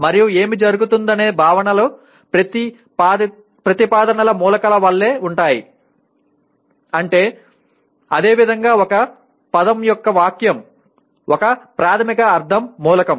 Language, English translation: Telugu, And also what happens is concepts are like elements of propositions much the same way a word is a basic semantic element of a sentence